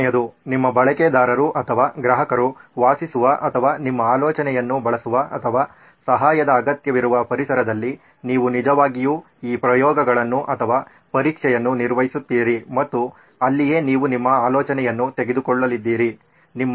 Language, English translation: Kannada, The third one is that you actually perform these trials or test in the actual environment in which your user or customer lives or uses your idea or needs help and that is where you are going to take your idea